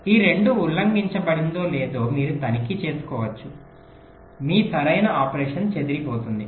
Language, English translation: Telugu, you can check if this two are violated, your correct operation will be disturbed